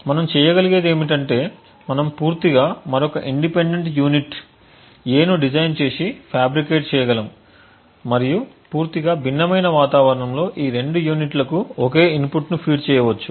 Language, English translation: Telugu, What we could do is we could design completely independently another unit, A’ and possibly just fabricated this unit in a totally different environment and feed the same inputs to both this units